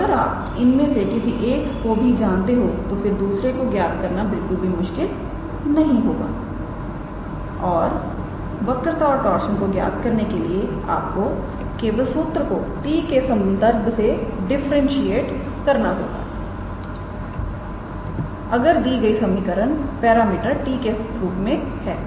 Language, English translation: Hindi, So, if you know any one of them the calculating other 2 would not be difficult and to calculate curvature and torsion you just have to differentiate the curve with respect to t if the given equation is in terms of the parameter t